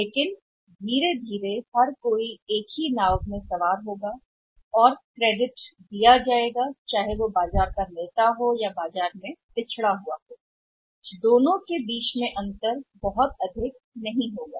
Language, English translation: Hindi, But slowly and steadily everybody will say sail in the same boat and the credit to be given by; the leader in the market or may be by the laggard in the market that difference between the two will not be very high